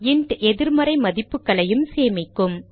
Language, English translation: Tamil, int can also store negative values